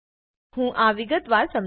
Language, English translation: Gujarati, Let me explain this in detail